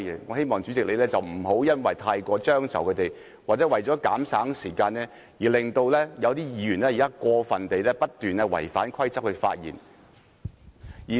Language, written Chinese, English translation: Cantonese, 我希望主席不要過於遷就他們或因為要減省時間，而令有些議員發言時不斷過分地違反規則。, I hope that the President should not be excessive accommodating . Nor should the President allow Members to repeatedly and unduly breach the rules in order to save time